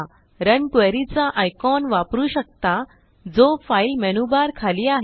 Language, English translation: Marathi, We can also use the Run Query icon below the file menu bar